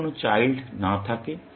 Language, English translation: Bengali, What if there are no children